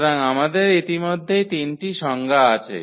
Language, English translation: Bengali, So, we have already 3 definitions so far